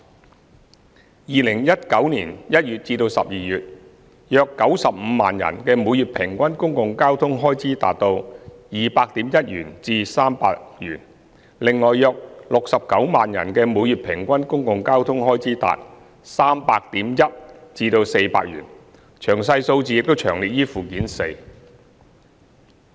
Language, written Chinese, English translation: Cantonese, 在2019年1月至12月期間，約95萬人的每月平均公共交通開支達 200.1 元至300元，另有約69萬人的每月平均公共交通開支達 300.1 元至400元，詳細數字已詳列於附件四。, From January to December 2019 the average number of commuters with a monthly public transport expenses of 200.1 to 300 was around 950 000 and that with a monthly public transport expenses of 300.1 to 400 was around 690 000 . A detailed breakdown is set out in Annex 4